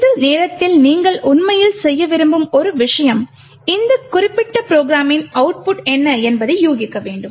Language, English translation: Tamil, One thing you would actually like to do at this time is to guess what the output of this particular program is